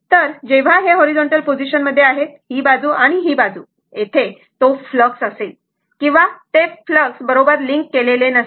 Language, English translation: Marathi, So, when it is a horizontal position, this side and this side, there will be low flux or it will not leak the flux